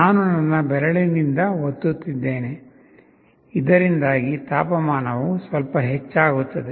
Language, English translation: Kannada, I am just pressing with my finger, so that the temperature increases that little bit